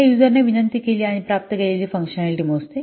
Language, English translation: Marathi, It measures functionality that the user request and receives